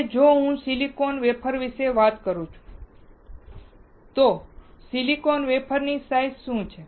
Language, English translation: Gujarati, Now, if I talk about silicon wafers, what are the size of silicon wafers